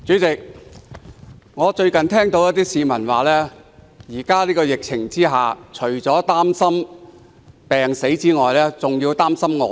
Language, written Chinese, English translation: Cantonese, 主席，最近一些市民指出，在現時的疫情下，除了擔心病死外，還要擔心餓死。, President amid the current virus outbreak some members of the public have recently remarked that they are worried about losing not only their lives but also their livelihoods